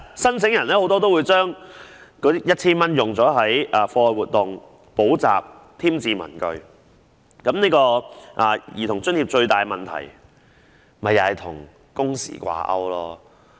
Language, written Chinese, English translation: Cantonese, 申請人大多會將這筆錢用於子女的課外活動、補習或添置文具，但兒童津貼的最大問題是與工時掛鈎。, Applicants will mostly spend this sum of money on childrens extra - curricular activities tuition fees or stationery . But the biggest problem with the Child Allowance is it being tied to working hours